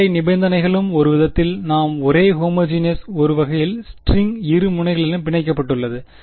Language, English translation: Tamil, The boundary conditions were also homogeneous in some sense we said the string is clamped at both ends